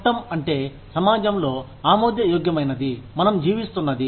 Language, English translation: Telugu, Law is, what is acceptable in the society, that we live in